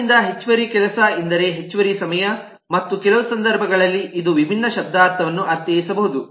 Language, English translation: Kannada, so that means additional work, that means additional time and in some cases it might mean a very different semantics